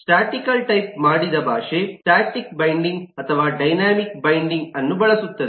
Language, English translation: Kannada, a statically typed language use static binding or early binding